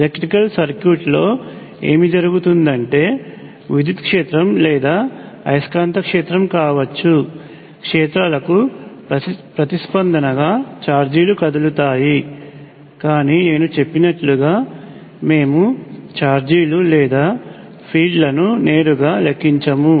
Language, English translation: Telugu, So, what happens in an electrical circuit is that charges move in response to fields which could be either an electric field or a magnetic field, but like I said we will not directly calculate charges or fields